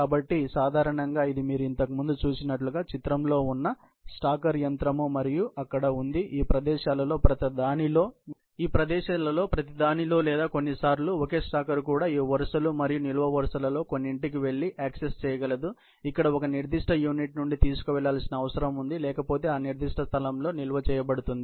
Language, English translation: Telugu, So, typically this is the stacker machine that is in the picture as you saw earlier, and there is a stacker machine at each of these locations or sometimes, even a single stacker, which can go and access some of these rows and columns, where a particular unit needs to be carried from, which is otherwise, stored in that particular space